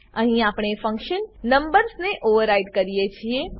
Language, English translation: Gujarati, Here we override the function numbers